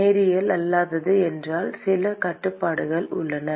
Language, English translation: Tamil, If it is non linear, then there are some restrictions